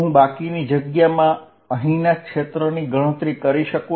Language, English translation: Gujarati, Can I calculate the field in the rest of the space